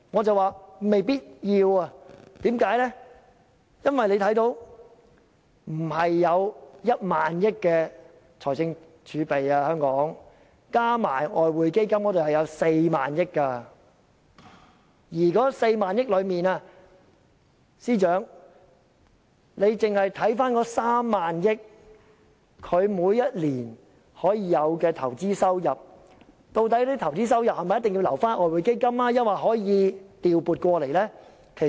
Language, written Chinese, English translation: Cantonese, 因為香港的財政儲備並非只有1萬億元，計及外匯基金後，共有4萬億元，在這4萬億元中，司長若將其中3萬億元用作投資，這些投資收入是否一定要留在外匯基金中，還是可以調撥到其他用途？, That is because Hong Kongs fiscal reserve is well over 1,000 billion totalling 4,000 billion if the Exchange Fund is included . Out of this 4,000 billion if the Financial Secretary sets aside 3,000 billion for investment must the investment income be channelled back to the Exchange Fund or can it be used for other purposes?